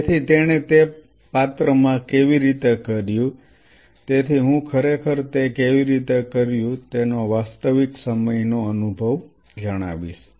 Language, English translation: Gujarati, So, how he did it in a dish, so I will share the real time experience of how he actually did it